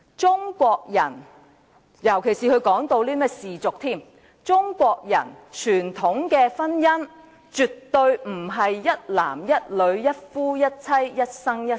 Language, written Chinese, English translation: Cantonese, 中國人傳統的婚姻——特別是他提到氏族——絕非一男一女、一夫一妻及一生一世。, The traditional marriage of Chinese people―especially as he mentioned the clan system―is absolutely not monogamy between one man and one woman for a lifetime